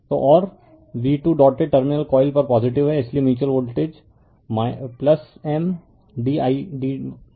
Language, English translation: Hindi, So, and v 2 is the positive at the dotted terminal coil 2 therefore, mutual voltage is plus M d I d i1 upon d t